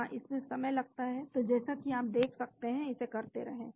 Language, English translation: Hindi, Yeah it takes time so as you can see, keep doing it